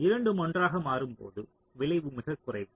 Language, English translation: Tamil, so when both are switching together the effect is the least